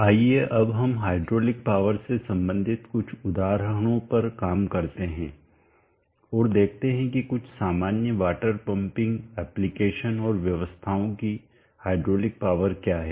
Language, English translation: Hindi, Let us now work on some examples related to hydraulic power and let us see what is the hydraulic power of some common water pumping applications and arrangements